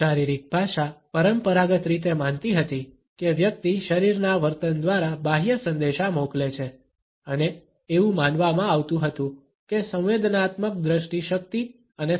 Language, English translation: Gujarati, Body language conventionally believed that one sends external messages through body behaviour and it was thought that sensory perception strength and communication